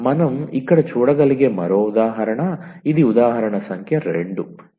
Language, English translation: Telugu, Another example which we can look here, so this is the example number 2